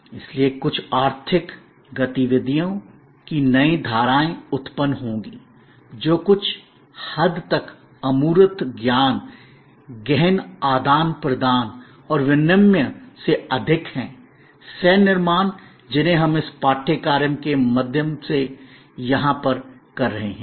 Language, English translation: Hindi, So, there will be new streams of economic activities that will be generated, from this somewhat intangible knowledge intensive exchange and more than exchange, co creation that we are engaged in here through this course